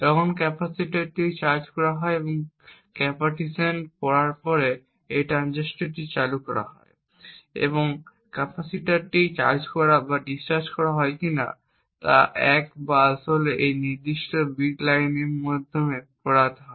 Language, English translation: Bengali, So when a 1 needs to be stored on this capacitor the capacitor is charged and in order to read the capacitance this transistor is turned ON and the data either 1 or 0 whether the capacitor is charged or discharged is actually read through this particular bit line